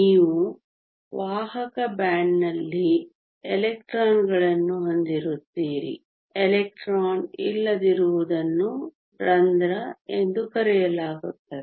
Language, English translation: Kannada, You will have electrons in the conduction band the absence of an electron is called a hole